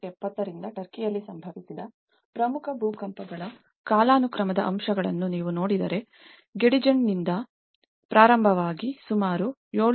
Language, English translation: Kannada, If you look at the chronological aspects of the major earthquakes in the Turkey since 1970, starting from Gediz which is about 7